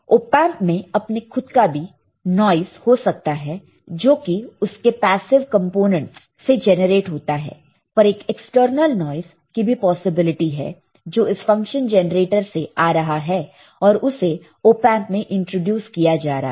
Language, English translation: Hindi, Op amp itself many have noise generated by the associated passive components, but there is a possibility of a external noise that comes out of the function generator and is introduced to the op amp all right